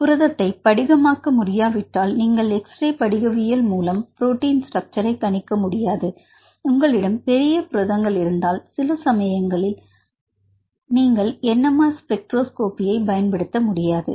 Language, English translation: Tamil, Crystal right if protein is not able to crystallize, then you cannot use xray crystallography for determining the structures right and if you have a give big proteins right sometimes you cannot use NMR spectroscopy